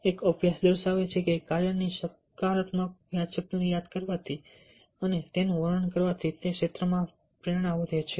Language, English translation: Gujarati, a study showed that recalling and describing a positive memory of a task increases motivation in that area